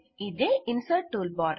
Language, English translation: Telugu, This is the Insert toolbar